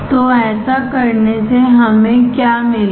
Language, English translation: Hindi, So, by doing this what we will get